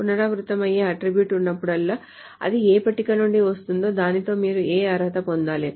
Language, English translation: Telugu, Whenever there is an attribute that is repeated, we need to qualify it from which table it is coming